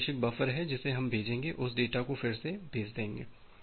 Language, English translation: Hindi, So, this is the sender buffer we will send that, retransmit that data